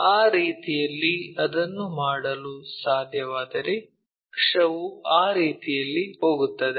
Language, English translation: Kannada, In that way, if we can make it our axis goes in that way